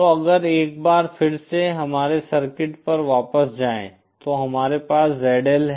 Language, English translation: Hindi, So if go back to our circuit once again we have ZL